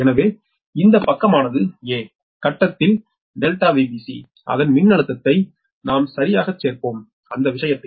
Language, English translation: Tamil, so this side that in the phase a, that delta v b c, that voltage, we will be added right